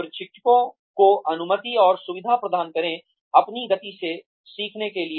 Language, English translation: Hindi, Allow and facilitate trainees, to learn at their own pace